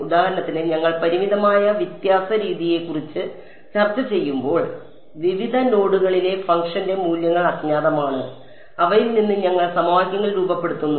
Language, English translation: Malayalam, For example, when we were discussing finite difference method is just the unknown are the values of the function at various nodes and we form our equations out of those right